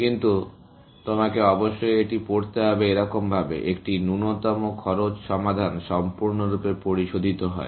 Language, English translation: Bengali, But, you must read this such as; a least cost solution is fully refined